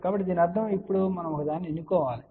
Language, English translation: Telugu, So that means, now we have to choose one of the value